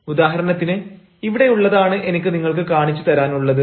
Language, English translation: Malayalam, for example, here is one that i i want to show you now